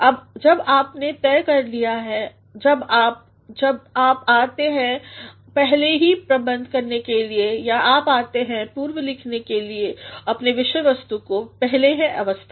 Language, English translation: Hindi, Now, when you have decided when you; when you come to pre arrange or when you come to pre write your material; the first is of arrangement